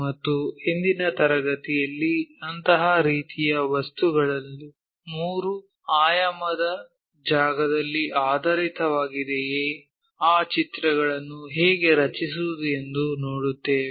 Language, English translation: Kannada, And, in today's class we will see if such kind of objects are oriented in three dimensional space how to draw those pictures